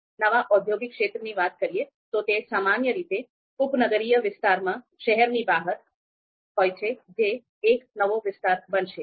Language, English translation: Gujarati, New industrial area, so these industrial areas are typically outside the city in the suburban area of the city, so it is going to be a new area